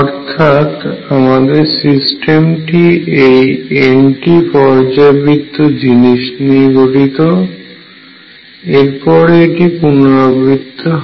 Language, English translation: Bengali, My system consists of this periodic thing over n and then it repeats itself